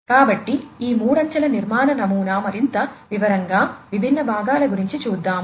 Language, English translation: Telugu, So, this three tier architecture pattern let us go through the different components, in further more detail